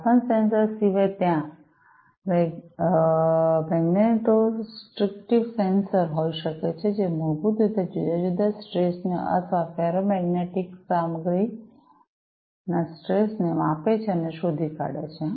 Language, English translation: Gujarati, Apart from temperature sensor, there could be magnetostrictive sensors, which basically measure and detect the time varying stresses or, strains in ferromagnetic materials